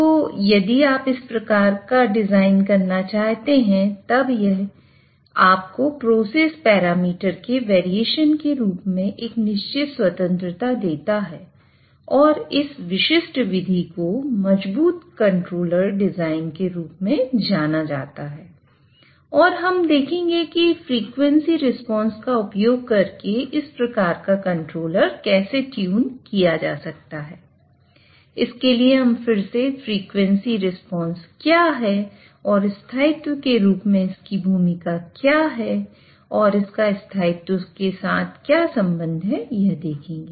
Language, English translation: Hindi, So when you want to do a design such that it allows you a certain freedom in terms of variations in the process parameters, that particular method will be known as a robust controller design and we will be see how such a controller can be tuned by using frequency response